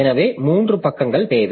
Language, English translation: Tamil, So, three pages are needed